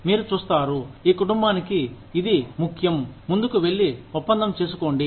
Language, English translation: Telugu, You will see, that it is important for this family, to go ahead, and do the deal